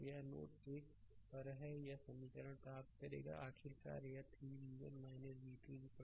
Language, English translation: Hindi, So, this is at node 1 you will get this equation finally, is it coming 3 v 1 minus v 2 is equal to 32